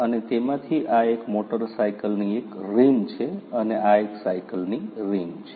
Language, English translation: Gujarati, So, this is one such rim of a motor cycle, and this is the rim of a bicycle